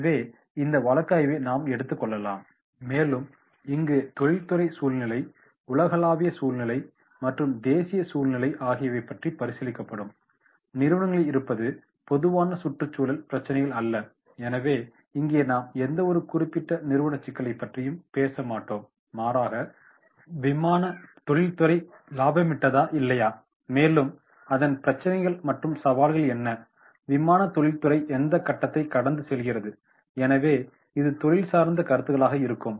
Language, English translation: Tamil, So, therefore in that case here this industry scenario, the global scenario and national scenario both will be considered, not companies are general environmental issues, so here we will not talk about the general any particular company issue rather than we will talk about whether the aviation industry is going into the profit or not or what are the issues and challenges, what phase the aviation industry is passing through, so this will be the industry specific comments